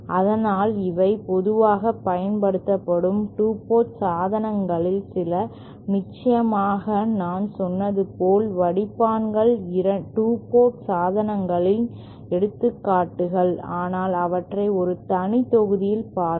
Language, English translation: Tamil, So, these are some of the 2 port devices that are commonly used, of course as I said, filters are also examples of 2 port devices but we shall cover them in a separate module